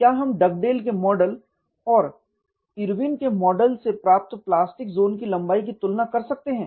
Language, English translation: Hindi, Can we compare with the plastic zone length from Dugdale’s model and Irwin’s model